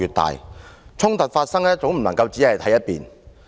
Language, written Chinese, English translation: Cantonese, 當衝突發生，絕不能只聽一面之詞。, In case of confrontation we must listen to both sides